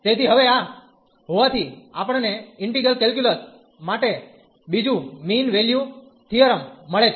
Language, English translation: Gujarati, So, having this now we get another mean value theorem for integral calculus